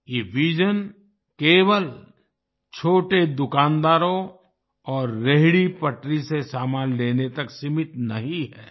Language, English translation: Hindi, This vision is not limited to just buying goods from small shopkeepers and street vendors